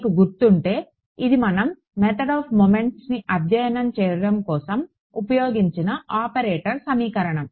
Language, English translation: Telugu, If you remember that was our operator equation on which we have studied the method of moments right